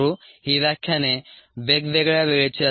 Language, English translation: Marathi, these lectures would be of variable times